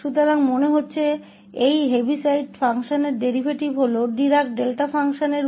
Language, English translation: Hindi, So, the derivative of this Heaviside function seems to be this Dirac Delta function